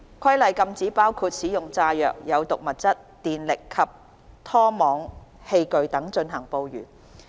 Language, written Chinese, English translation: Cantonese, 《規例》禁止包括使用炸藥、有毒物質、電力及拖網器具等進行捕魚。, The Regulations prohibit the use of explosive toxic substance electrical and trawling devices etc